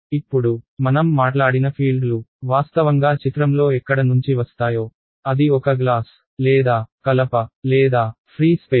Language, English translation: Telugu, Now fields we have spoken about where does the material actually come into picture, whether its glass or wood or free space